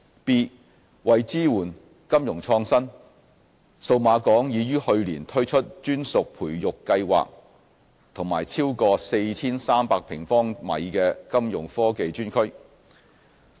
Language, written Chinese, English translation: Cantonese, b 為支援金融創新，數碼港已於去年推出專屬培育計劃和超過 4,300 平方米的金融科技專區。, b To support financial innovation Cyberport launched its designated incubation programme and a 4 300 - square metre dedicated Fintech space last year